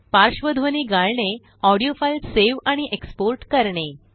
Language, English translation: Marathi, Filter background noise.Save and export the audio file